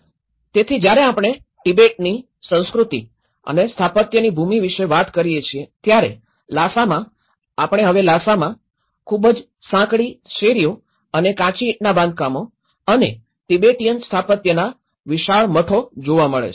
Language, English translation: Gujarati, So, when we talk about the land of Tibet, culture and architecture, so in Lhasa, this is how, we see the Lhasa now, the very narrow streets and Adobe constructions and the huge monasteries of the Tibetan architecture